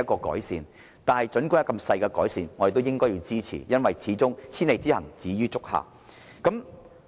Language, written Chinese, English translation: Cantonese, 然而，即使只帶來些微改善，我們都應支持，因為千里之行，始於足下。, However we should support MEELS even if it can only result in a slight improvement because a journey of thousand miles begins with the first step